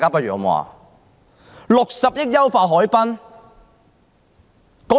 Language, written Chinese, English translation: Cantonese, 用60億元優化海濱？, It will also spend 6 billion to enhance the Harbourfront